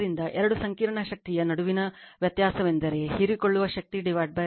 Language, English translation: Kannada, So, the difference between the two complex power is the power absorbed by the line impedance that is the power loss right